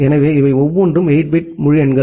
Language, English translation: Tamil, So, each of these are 8 bit integers